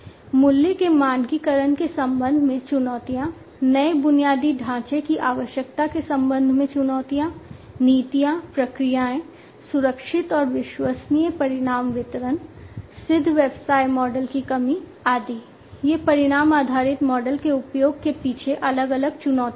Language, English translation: Hindi, Challenges with respect to the standardization of the price, challenges with respect to the requirement of new infrastructure, policies, processes, safe and reliable outcome delivery, lack of proven business models etcetera, these are different challenges behind the use of outcome based model